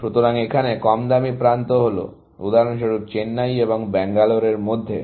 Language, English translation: Bengali, So, the cheap edge here is, for example; between Chennai and Bangalore